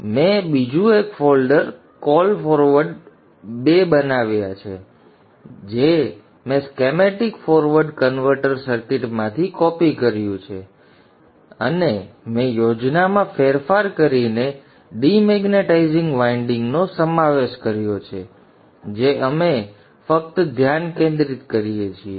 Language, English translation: Gujarati, So I have created another folder called forward 2 which I have copied from the Lossi forward converter circuit and I have modified the schematic to include the de magnetizing winding that we just discussed